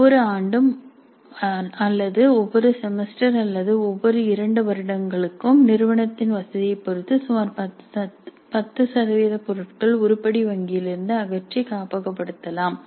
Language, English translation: Tamil, Every year or every semester or every two years depending upon the convenience of the institute, about 10% of the items can be archived, removed from the item bank and archived